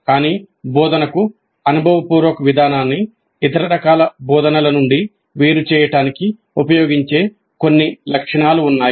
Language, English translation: Telugu, But there are certain features which are used to distinguish experiential approach to instruction from other forms of instruction